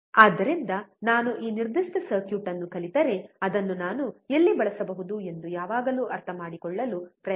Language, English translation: Kannada, So, always try to understand that if I learn this particular circuit, where can I use it